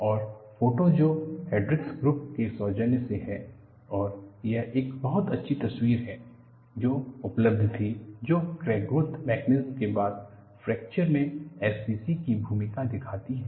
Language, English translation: Hindi, And the photo courtesies from Hendrix Groups, and this is a very nice picture that was available, that brings in the role of SCC as a growth mechanism for crack followed by fracture